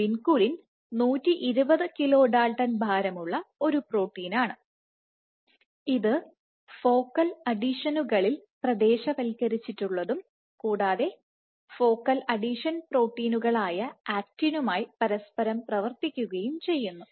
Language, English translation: Malayalam, So, vinculin is a 120 kilo delta protein again localizing at focal adhesions, again it interacts with many focal adhesions proteins actin